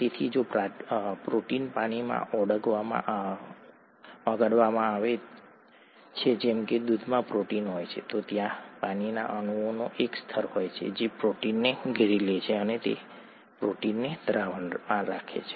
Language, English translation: Gujarati, So if a protein is dissolved in water as in the case of a protein in milk, then there is a layer of water molecules that surround the protein and keep the protein in solution, right